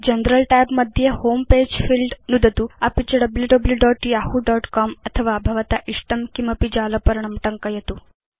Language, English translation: Sanskrit, In the General tab, click on Home Page field and type www.yahoo.com or any of your preferred webpage